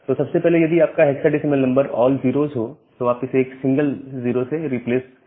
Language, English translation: Hindi, So, first of all if your hexadecimal number has all 0’s, then you can replace it by a single 0